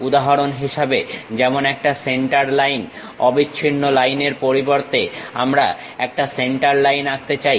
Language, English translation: Bengali, For example, like a center line instead of a continuous line we would like to draw a Centerline